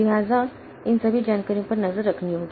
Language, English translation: Hindi, So, it has to keep track of all this information